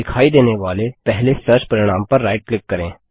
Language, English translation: Hindi, Right click on the first search result that appears